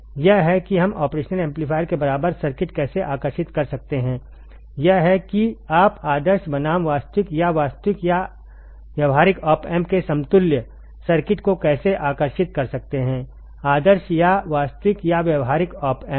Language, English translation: Hindi, This is how we can draw the equivalent circuit of the operational amplifier, this is how you can draw the equivalent circuit of ideal versus actual or real or practical op amp right, ideal or real or practical op amp easy, easy right